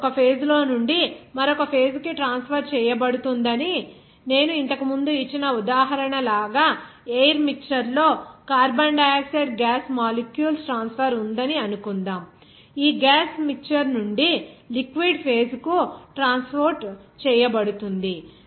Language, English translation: Telugu, You see the mass will be transferred from one phase to another phase like I have given earlier the example like suppose there is a transfer of carbon dioxide gas molecules in air mixture that will be transported from this gaseous mixture to the liquid phase